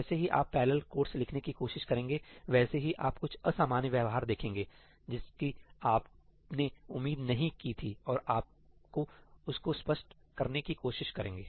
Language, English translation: Hindi, The moment you try to write parallel codes, you are going to see some weird behavior which you are not expecting and you have to try to explain that